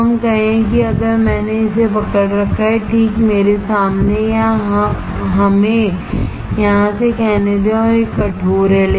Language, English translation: Hindi, So, let us say if I hold this, right in front of me or let us say from here and it is stiff